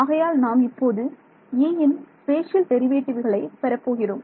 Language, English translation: Tamil, So, I will get the spatial derivatives of E now right